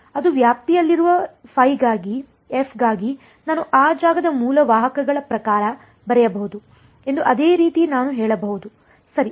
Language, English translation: Kannada, Similarly I can say that for f which is in the range I can write it in terms of the basis vectors for that space right